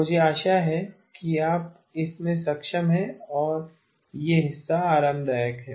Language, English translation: Hindi, I hope you are able to get into this and this part is comfortable